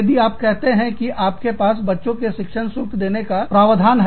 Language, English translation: Hindi, If you have, say, you have a provision for paying, the tuition fees of the children